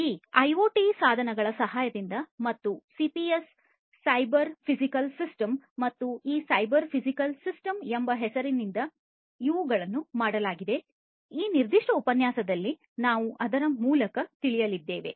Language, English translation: Kannada, These are going to be done with the help of these IoT devices and something called CPS Cyber Physical Systems and these Cyber Physical Systems is what we are going to go through in this particular lecture